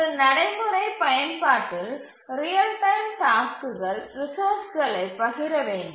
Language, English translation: Tamil, In a practical application, the real time tasks need to share resources